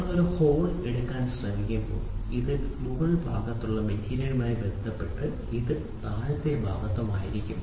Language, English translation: Malayalam, When you try to take a hole this will be on the upper side and this will be on the lower side with respect to material